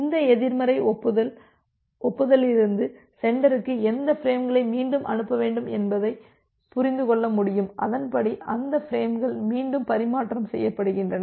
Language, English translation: Tamil, And from this negative acknowledgment the sender will be able to understand that which frames needs to be retransmitted and accordingly those frames are being retransmitted